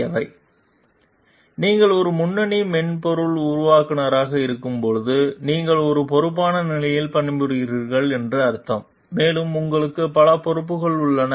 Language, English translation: Tamil, So, when you are a lead software developer, it means you are working in a responsible position and you have many responsibilities also